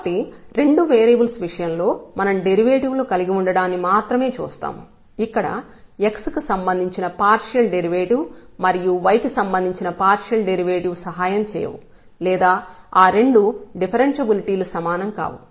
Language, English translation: Telugu, So, there in case of the two variables what we will see that just having the derivatives, where the partial derivative with respect to x and partial derivatives derivative with respect to y will not help or will not be equivalent to two differentiability